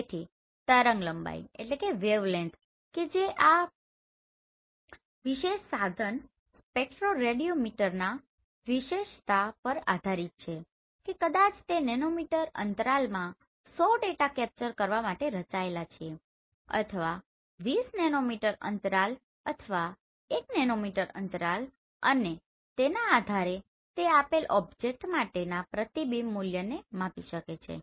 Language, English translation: Gujarati, So in wavelength it is based on the specification of this particular instrument spectroradiometer whether it is designed to capture 100 data in nanometer interval or 20 nanometer interval or 1 nanometer interval depending on that it can measure the reflectance value for the given object